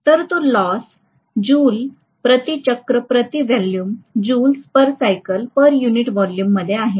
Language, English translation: Marathi, So it is loss in Joules per cycle per unit volume